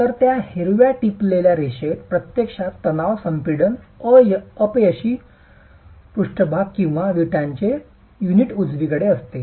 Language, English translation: Marathi, So, that green dotted line there is actually the tension compression failure surface of the envelope of the brick unit